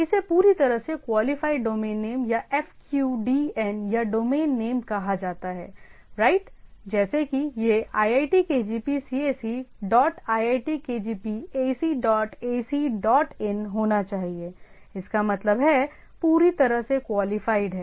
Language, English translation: Hindi, This is called fully qualified domain name or FQDN or an absolute domain name right like it should be iitkgp cse dot iitkgp ac dot ac dot in dot so; that means, fully qualified